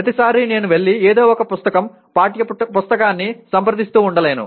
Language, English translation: Telugu, Every time I cannot go and keep consulting some book, textbook